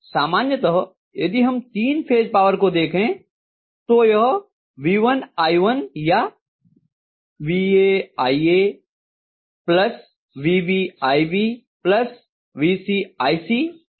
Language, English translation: Hindi, So normally if you look at the three phase power you are going to have V1 i1 or Va ia plus Vb ib plus Vc ic